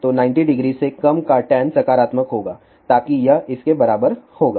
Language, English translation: Hindi, So, tan of less than 90 degree will be positive so that will be equivalent to this